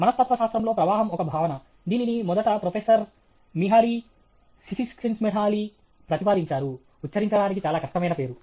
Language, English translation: Telugu, Flow is a concept in psychology; this was first proposed by Professor Mihaly Csikszentmihalyi; Professor Mihaly Csikszentmihalyi very difficult name to pronounce